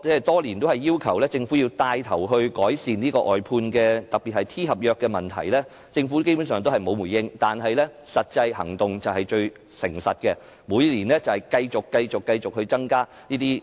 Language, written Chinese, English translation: Cantonese, 多年來我要求政府牽頭改善外判，特別是 T 合約的問題，政府基本上沒有回應，但實際行動便是最誠實的，這些職位的聘請人數續見增加。, Over the years I have been requesting the Government to take the lead to ameliorate problems of outsourcing in particular T - contract . The Government basically has given no response . But practical actions speak the truth